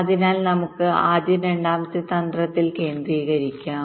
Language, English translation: Malayalam, so let us concentrate on the second strategy first